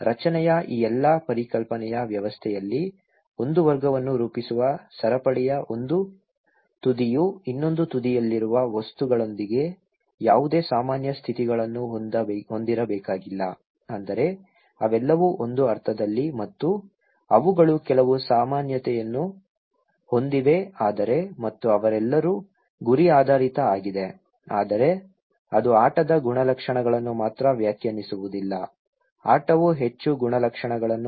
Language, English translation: Kannada, In all these system of concept of formation, items one end of the chain that constitute a category need not to have any conditions in common with those at the other end that means, that they all are in a sense and that they have some commonalities but and like they all are goal oriented okay but that is not only defining the characteristics of the game, game needs to be more characteristics